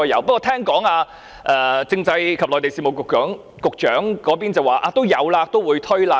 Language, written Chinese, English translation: Cantonese, 不過，據聞政制及內地事務局局長表示也將會推出。, However it is learnt that the Secretary for Constitutional and Mainland Affairs said such training will be rolled out